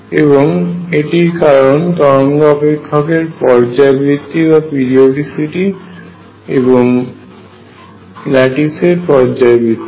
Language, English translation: Bengali, And this is because the periodicity of the wave function and periodicity of the lattice